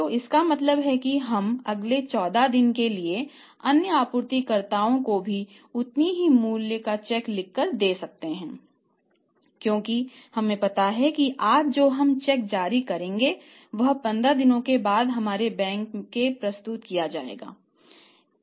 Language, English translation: Hindi, So it means we can keep on writing the same amount of checks to the other suppliers also for the next 14 days because we know that the check we issued today that will be presented to our bank after 15 days